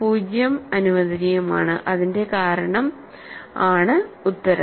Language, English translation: Malayalam, So, 0 is also allowed and the reason is solution